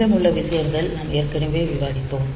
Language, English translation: Tamil, So, rest of thing we have already discussed